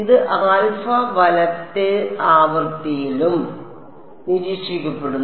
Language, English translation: Malayalam, It is got observed into alpha right the frequency and all that